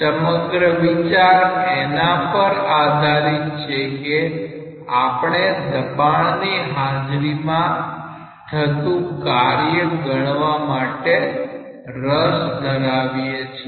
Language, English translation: Gujarati, The whole idea is based on that we are interested to calculate the work done in presence of pressure